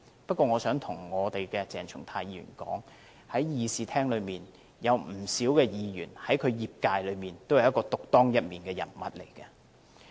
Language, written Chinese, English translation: Cantonese, 不過，我想對鄭松泰議員說，在會議廳內有不少議員在其業界中，都是獨當一面的人物。, Nonetheless I would like to tell Dr CHENG Chung - tai that many Members in the Chamber are leading figures in their respective sectors